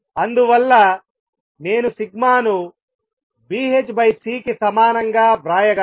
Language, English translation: Telugu, And therefore, I can write sigma as equal to B h over C